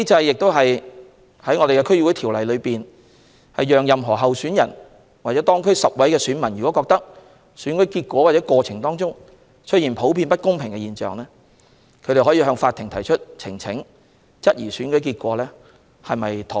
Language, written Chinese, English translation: Cantonese, 根據《區議會條例》，這機制讓任何候選人或當區10位選民若覺得選舉結果或過程出現普遍不公平的現象，他們可向法庭提出呈請，質疑選舉結果是否妥當。, According to the District Councils Ordinance this mechanism allows any candidate or 10 electors in the district to present an election petition to the court questioning the result of an election if they find that the election result or process is generally unfair